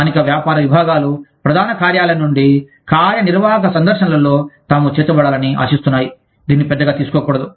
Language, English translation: Telugu, Local business units expect, to be included in executive visits from headquarters, not to be taken for granted